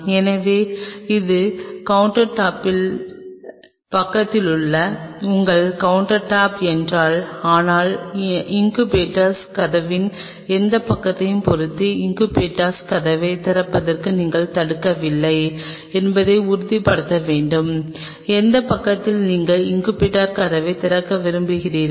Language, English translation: Tamil, So, if this is your countertop along the side of the countertop out here, but you have to ensure that you are not obstructing the opening of the incubator door depending on which side of the incubator door, it in which side you want to open the incubator door